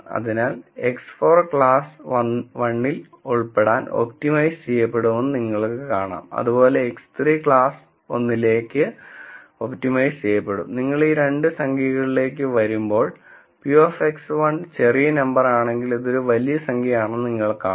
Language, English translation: Malayalam, So, you notice that X 4 would be optimized to belong in class 1Similarly X 3 would be optimized to belong in class 1 and when you come to these two numbers, you would see that this would be a large number if p of X 1 is a small number